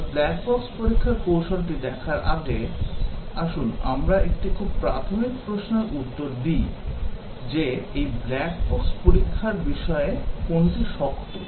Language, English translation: Bengali, But, before we look at the black box testing strategies, let us answer a very basic question that, what is hard about this black box testing